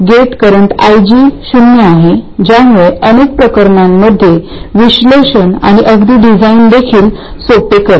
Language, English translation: Marathi, The gate current IG is zero which makes analysis and even design simple in many cases